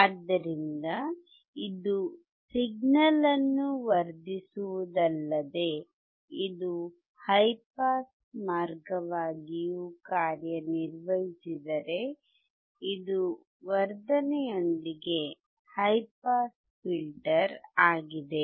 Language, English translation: Kannada, So, this will not only amplify the signal, if it also act as a high pass way, it is a high pass filter along with amplification